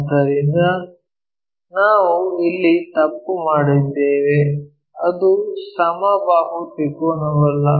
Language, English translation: Kannada, So, we made a mistake here it is not a equilateral triangle